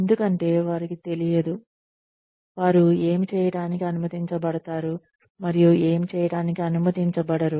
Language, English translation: Telugu, Because, they do not know, what they are allowed to do, and what they are not allowed to do